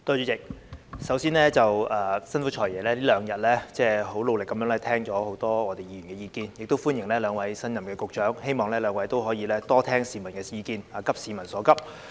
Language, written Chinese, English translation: Cantonese, 主席，首先，辛苦"財爺"這兩天很努力地聆聽很多議員的意見，也歡迎兩位新任局長，希望兩位局長可以多聽市民的意見，急市民所急。, President first of all I thank the Financial Secretary for his hard work in listening to the views of many Members in these two days . I also welcome the two new Directors of Bureaux . I hope that they can listen more to the public views and sense the urgency of the people